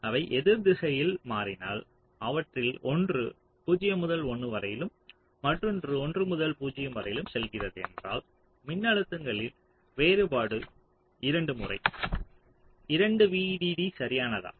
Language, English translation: Tamil, but if they are switching in the opposite direction, so one of them is going from zero to one and the other is going from one to zero, then the difference in voltages can be twice two